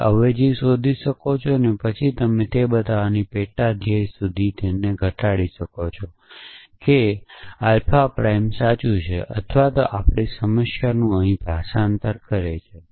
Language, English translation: Gujarati, So, you can find the substitution then you can reduce it to a sub goal of saying show that alpha prime is true or does a translate to our problem here